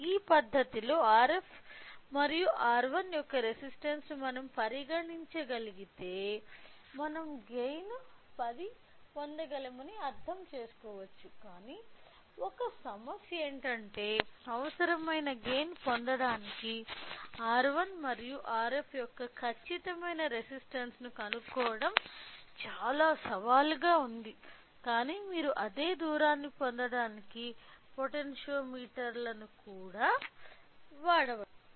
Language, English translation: Telugu, So, if we can consider a resistance of R f and R 1 in this fashion we can understand we can get a gain of 10, but the only problem is that finding out the exact resistance of R 1 and R f in order to get a required gain is little challenging, but you can use of you know potentiometers even to get the same distance